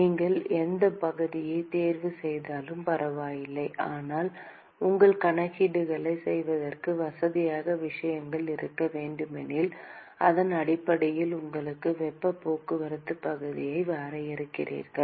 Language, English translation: Tamil, It does not matter whichever area you choose, but if you want to have things to be little bit more convenient to do your calculations, then you define your heat transport area based on that